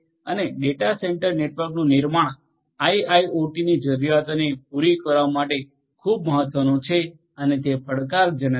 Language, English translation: Gujarati, Storage of the data is important and building of the data centre network for catering to the requirements of IIoT is very important and is challenging